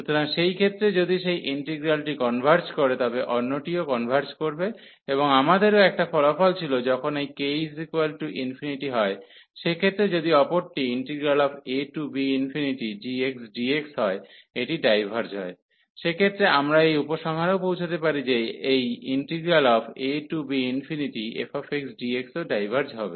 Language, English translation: Bengali, So, in that case if that integral converges the other one will also converge and we had also the result that if this k is infinity, in that case if the other one the g integral this diverges in that case we can also conclude that this f will also diverge